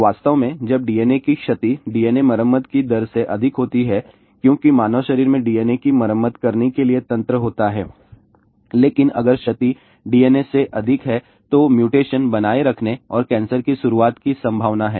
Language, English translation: Hindi, In fact, when damage to DNA is greater than rate of DNA repair because human body has the mechanism to repair the DNA, but if damage is greater than DNA, there is a possibility of retaining mutation and initiating cancer